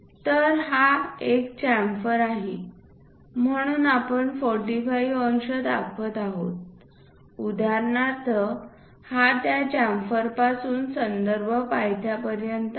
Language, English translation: Marathi, So, because it is a chamfer, we are showing 45 degrees for example, and that is from that chamfer to this reference base, this is the reference base